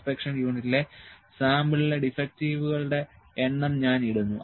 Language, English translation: Malayalam, I would put number of defectives in sample of inspection units